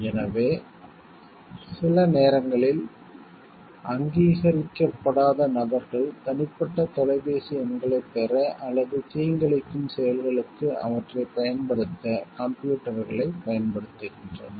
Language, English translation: Tamil, So, sometimes un authorized persons use computers to obtain private phone numbers or use them for malicious activities